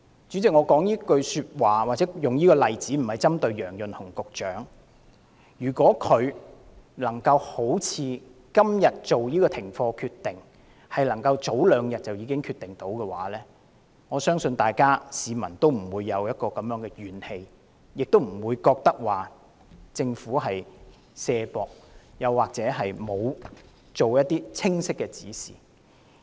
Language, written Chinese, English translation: Cantonese, 主席，我說出此話或引用這個例子，並不是要針對楊潤雄局長，但他如能在早兩天作出今天這個停課的決定，相信市民也不會心生怨氣，認為政府推卸責任或欠缺清晰指示。, President I have made these remarks and cited the above example not for the purpose of criticizing Secretary Kevin YEUNG but if the decision today on class suspension could be made two days earlier I believe there would not have been so many grievances in society and the Government would not have been accused of shirking its responsibility or failing to give clear instructions